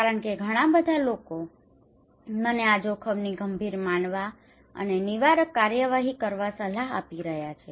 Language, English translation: Gujarati, Because many people are advising me to consider this risk as serious and to take preventive actions